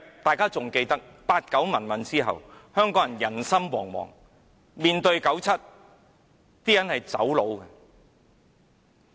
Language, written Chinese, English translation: Cantonese, 大家還記得在八九民運後，香港人心惶惶，面對九七，香港人選擇移民。, We may still remember how panic Hong Kong people felt after the 1989 pro - democracy movement and how people emigrated to other countries in the run - up to 1997